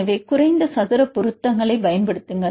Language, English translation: Tamil, So, use the least square fits